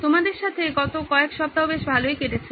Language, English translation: Bengali, It’s been a fantastic last few weeks with you